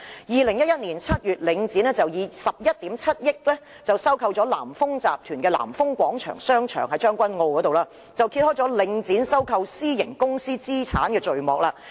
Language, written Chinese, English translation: Cantonese, 2011年7月，領展以11億 7,000 萬元收購了南豐集團在將軍澳的南豐廣場，揭開領展收購私營公司資產的序幕。, In July 2011 Link REIT acquired Nan Fung Plaza in Tseung Kwan O from Nan Fung Group at a cost of 1.17 billion marking the start of its acquisition of assets from private companies